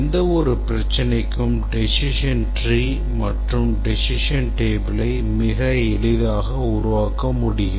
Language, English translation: Tamil, We want to develop decision table and decision tree for the following problem